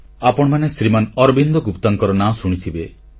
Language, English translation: Odia, You must have heard the name of Arvind Gupta ji